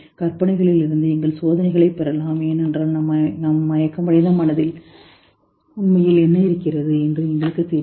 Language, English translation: Tamil, And maybe we derive our experiments from those fantasies because we really don't know what in our unconscious mind is really pushing